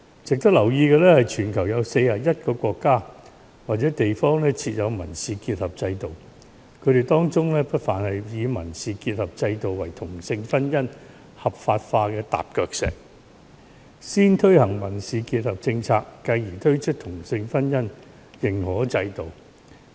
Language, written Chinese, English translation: Cantonese, 值得留意的是，全球有41個國家或地方設有民事結合制度，他們當中不乏以民事結合制度作為同性婚姻合法化的踏腳石：先推行民事結合制度，繼而推出同性婚姻認可制度。, It is worth noting that 41 countries or places in the world have put in place civil union system some of them adopt the civil union system as a stepping stone for the legalization of same - sex marriage . They would first launch the civil union system followed by the recognition of same - sex marriage